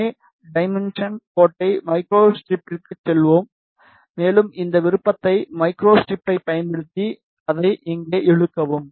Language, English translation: Tamil, So, we will just make the transmission line go to micro strip, and use this option micro strip and drag it here